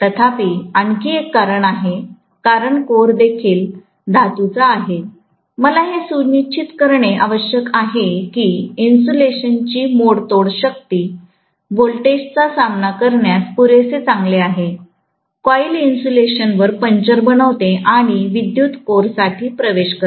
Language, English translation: Marathi, Whereas, one more reason is because the core is also metallic, I need to make sure that the breakdown strength of the insulation is good enough to withstand the voltage, or the coil making a puncture onto the insulation and reaching out for the current into the core